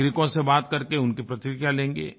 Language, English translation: Hindi, They will talk to the people there and gather their reactions